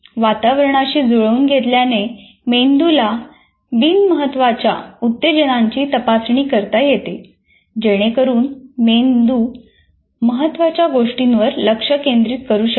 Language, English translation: Marathi, The adjustment to the environment allows the brain to screen out unimportant stimuli so it can focus on those that matter